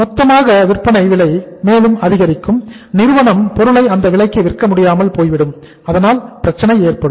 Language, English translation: Tamil, The total say selling price will also increase and the firm would not be able to sell the product in the market at that price so that will create the problem